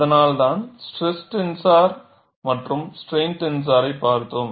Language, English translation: Tamil, That is why we have looked at stress tenser as well as strain tenser